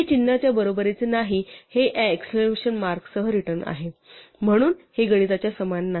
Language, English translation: Marathi, So, this not equal to symbol is return with this exclamation mark, so this is the same as the mathematical not equal to